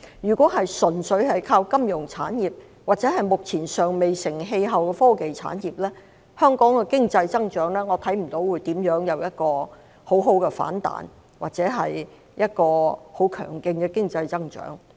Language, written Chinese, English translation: Cantonese, 如果純粹靠金融產業或目前尚未成氣候的科技產業，我看不到香港的經濟增長會有很好的反彈或有很強勁的經濟增長。, If we solely rely on the financial industry or the technology industry the development of which is still immature I cannot see a strong economic rebound or a robust economic growth